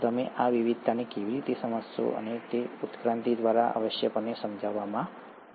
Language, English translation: Gujarati, So how do you explain this diversity, and that is essentially explained through evolution